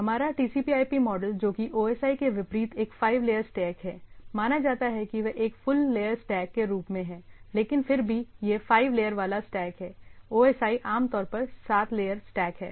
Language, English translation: Hindi, Unlike our TCP/IP things were which is a five layer stack in some cases; there are they considered as a full layer stack will come to that, but nevertheless it is a five layer stack, OSI is typically seven layer stack right